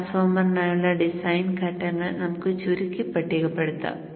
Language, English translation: Malayalam, Let us summarize and list the design steps for the transformer